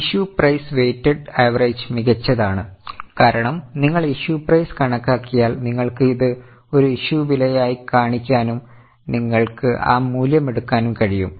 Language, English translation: Malayalam, Issue price, weighted average is better because once you calculate the issue price you can show it as an issue price and you can also take that value